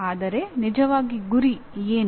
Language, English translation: Kannada, That is the goal